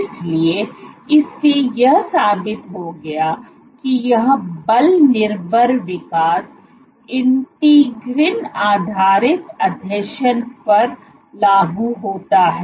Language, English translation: Hindi, So, this proved that this force dependent growth applies to integrin based adhesions